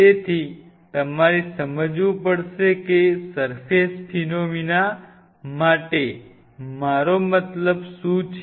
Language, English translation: Gujarati, So, you have to realize what I meant by surface phenomena